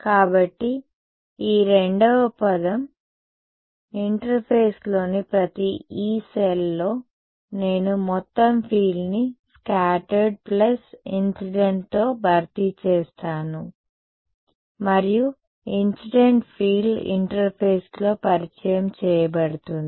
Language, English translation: Telugu, So, this second term; so, at every Yee cell on the interface I will have this replacement of total field by scattered plus incident and the incident field therefore, gets introduced at the interface